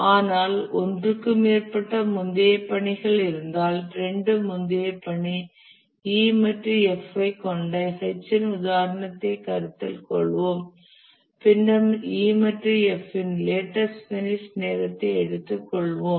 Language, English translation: Tamil, But then if there are more than one previous task, let's consider the example of H which has two previous tasks E and F, then we'll take the lattice finish time of E and F